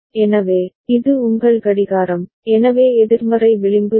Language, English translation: Tamil, So, this is your clock, so negative edge ok